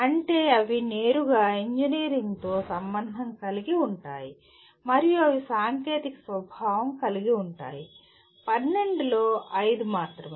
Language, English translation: Telugu, That means they can be related directly to engineering and they are technical in nature, only 5 out of the 12